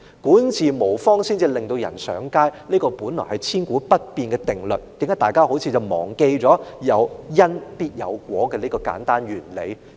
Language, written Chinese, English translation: Cantonese, 管治無方致令人上街是千古不變的定律，有因必有果，為何大家卻好像忘記了這個簡單原理呢？, Misadministration drives people to the street this is a perpetually valid premise . What goes around comes around . How come we have apparently neglected this simple casual law?